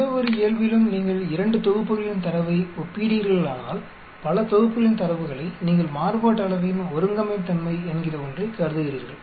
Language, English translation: Tamil, In any normal if you are comparing 2 sets of data, multiple sets of data you consider something called Homogeneity of variance